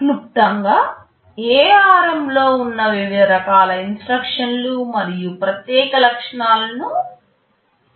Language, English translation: Telugu, We have seen in a nutshell, the various kinds of instructions that are there in ARM and the unique features